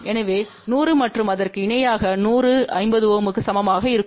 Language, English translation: Tamil, So, 100 in parallel with a 100 and that will be equal to 50 ohm